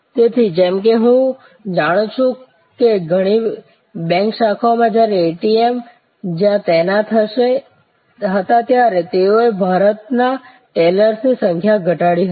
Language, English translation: Gujarati, So, as I know that in a many bank branches they had actually reduce the number of tellers in India when ATM's where deployed